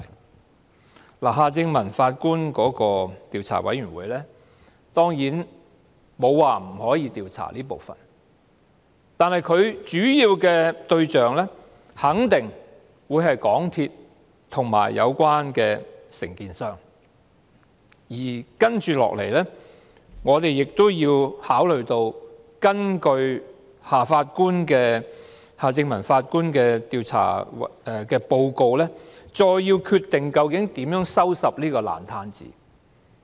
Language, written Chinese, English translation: Cantonese, 當然，沒有人說過夏正民法官的調查委員會不能調查這一部分，但其主要對象肯定是港鐵公司和有關承建商，而接下來我們亦須考慮根據夏正民法官的調查報告，究竟應如何收拾這個爛攤子。, Of course no one has ever said that the Commission chaired by Mr Michael HARTMANN cannot inquire into this part but its main subjects are definitely MTRCL and the relevant contractors . Next we must also consider based on the inquiry report by Mr Michael HARTMANN exactly how such a mess can be cleared up